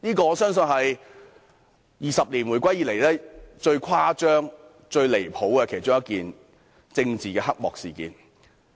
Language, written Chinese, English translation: Cantonese, 我相信這是回歸20年以來，最誇張、最離譜的其中一件政治黑幕事件。, I think this must be one of the most outrageous and ridiculous political scandals over the 20 years following the reunification